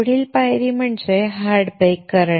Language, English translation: Marathi, The next step is to do hard bake